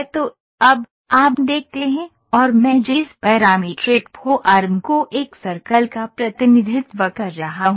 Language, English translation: Hindi, So, now, you see and the parametric form I am representing a circle